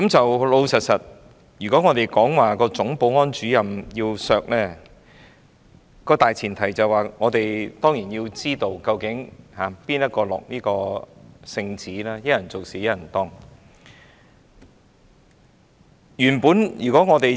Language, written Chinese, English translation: Cantonese, 我們說要削減立法會總保安主任的薪酬，大前提當然是要知道是誰人下的聖旨，一人做事一人當。, Before we say we want to cut the salary of the Chief Security Officer of the Legislative Council we must first know who made the order